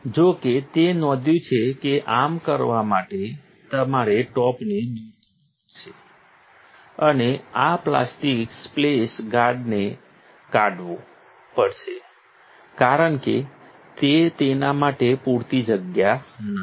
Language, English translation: Gujarati, However, it is noted that in order to do so, you would have to remove the top and take off this plastic splash guard because that just is not enough room for it